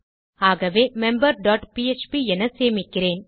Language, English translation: Tamil, So Ill save this as member dot php